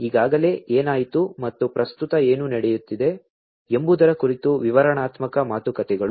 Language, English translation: Kannada, Descriptive talks about what has already happened and is currently happening